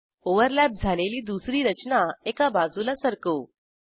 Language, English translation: Marathi, Lets move the second overlapping structure aside